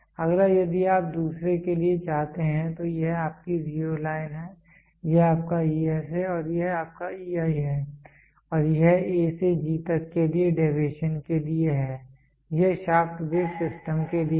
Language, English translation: Hindi, Next if you want to have for the other one so this is your zero line this is your zero line this is your ES and this is your EI and this is for deviation for A to G this is for a shaft base system